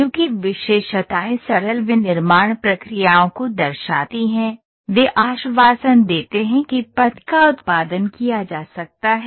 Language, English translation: Hindi, Since features reflect simple manufacturing processes, they assure that the path can be produced